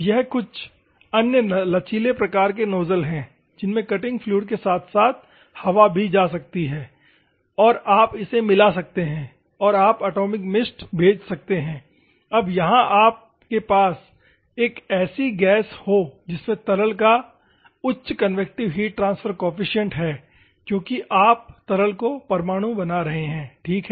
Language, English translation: Hindi, These are some other flexible type of nozzles, you can have the cutting fluid as well as the air and you can mix it and you can send the atomized mist so that you can have a gas that consists of convective heat transfer coefficient of a liquid because you are atomizing the liquid, ok